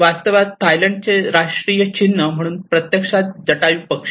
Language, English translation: Marathi, So, in fact, the national symbol of Thailand is actually Jatayu